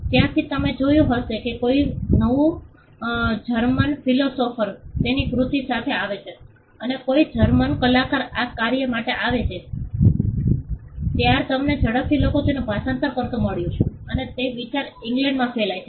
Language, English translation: Gujarati, So, when you found a new German philosopher coming up with his work or a German artist coming up with this work, you found quickly people translating them and that idea spreading in England